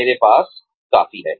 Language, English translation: Hindi, I have had enough